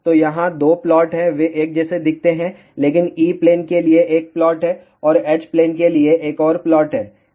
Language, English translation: Hindi, So, here there are 2 plots are there they look kind of identical, but there is a 1 plot for E Plane and another plot is for H Plane